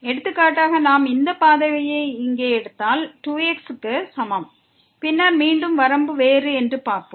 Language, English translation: Tamil, For example, if we take is equal to 2 if we take this path here and then again we will see that the limit is different